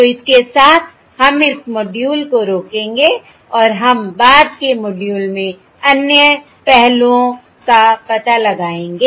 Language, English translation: Hindi, all right, So with this we will stop this module and we will explore other aspects in the subsequent modules